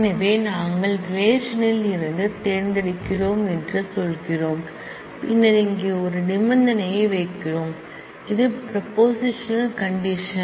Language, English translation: Tamil, So, we say we are selecting from the relation r and then we put a condition here, which is a propositional condition